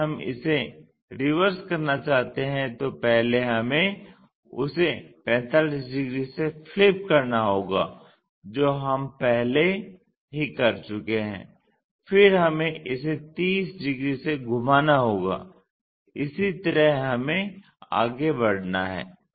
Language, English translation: Hindi, If we want to reverse it first we have to flip that 45 degrees which we have already done then we have to turn it by 30 degrees, that is the way we have to proceed